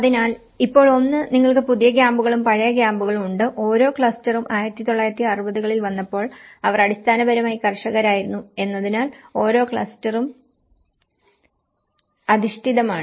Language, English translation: Malayalam, So, now, one is you have the new camps and the old camps and each cluster has been oriented because they are basically, the farmers in that time when they came to 1960s